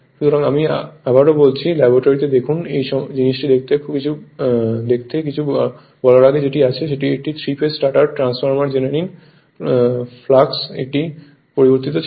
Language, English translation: Bengali, So, I repeat again, see in the laboratory just to see this thing and before saying anything that you have a this is a 3 phase stator know in the transformer the flux was a time varying right